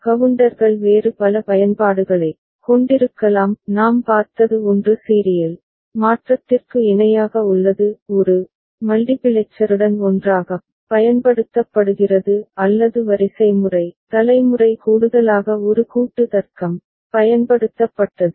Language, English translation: Tamil, And the counters can have various other applications – the one that we have seen is parallel to serial conversion together used together with a multiplexer; or sequence generation where a combinatorial logic was used in addition ok